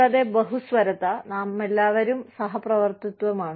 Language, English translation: Malayalam, And, pluralism is, we all co exist